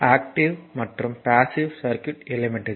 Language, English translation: Tamil, So, active and passive circuit elements